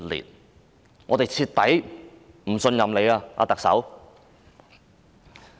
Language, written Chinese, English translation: Cantonese, 特首，我們已徹底不信任你。, Chief Executive we have thoroughly lost our confidence in you